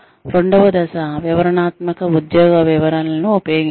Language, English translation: Telugu, The second step is to, use detailed job descriptions